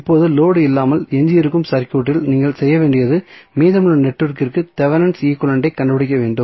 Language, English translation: Tamil, Now, the circuit which is left without load, what you have to do you have to find the Thevenin equivalent of the rest of the network